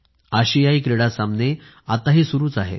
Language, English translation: Marathi, The Asian Games are going on